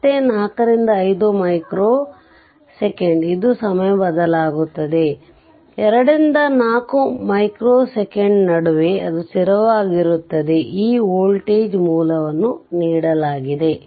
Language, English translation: Kannada, And again from 4 to 5 micro second, it is time varying; in between 2 to 4 micro second, it is constant; this voltage source is given right